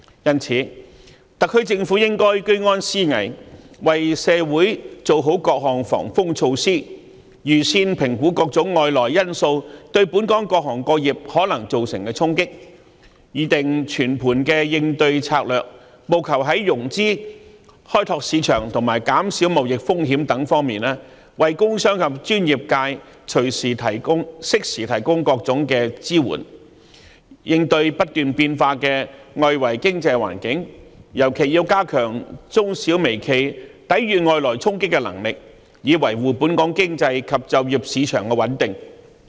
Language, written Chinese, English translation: Cantonese, 因此，特區政府應居安思危，為社會做好各項防風措施，預先評估各種外來因素對本港各行各業可能造成的衝擊，擬訂全盤應對策略，務求在融資、開拓市場及減少貿易風險等方面，為工商及專業界適時提供各種支援，應對不斷變化的外圍經濟環境，尤其要加強中小微企抵禦外來衝擊的能力，以維護本港經濟及就業市場的穩定。, In view of this the SAR Government should remain vigilant before a crisis arises and adopt various precautionary measures for society . Prior assessments should be made on the possible impacts brought about by various external factors on different trades and industries in Hong Kong and comprehensive strategies should be drawn up accordingly to provide various kinds of support in for instance financing opening up markets and reducing trade risks for industries and businesses as well as the professional sectors helping them make preparations for the ever changing external economic environment and in particular it is necessary to enhance the resilience of small medium and micro enterprises against attacks from outside Hong Kong thereby maintaining the stability of the economy and the employment market locally